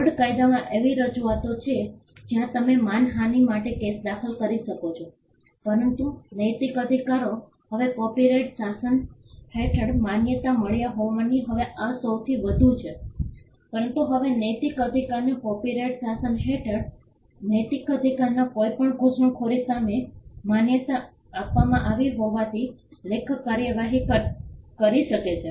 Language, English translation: Gujarati, There are provisions in tort law where you could file a case for defamation, but since the moral rights are now recognized under the copyright regime this is now the most, but since moral rights have now been recognized under the copyright regime an author can take action against any intrusion of his moral rights